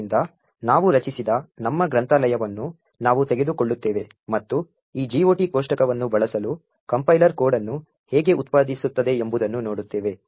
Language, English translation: Kannada, So, we will take our library that we have created and see how the compiler generates code for using this GOT table